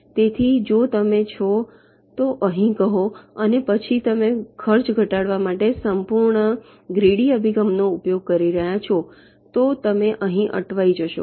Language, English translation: Gujarati, so if you are, say, here and then you are using a pearly gradient approach to decrease the cost, then you will get stuck here